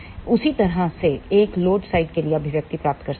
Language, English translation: Hindi, In the same way one can derive the expression for the load side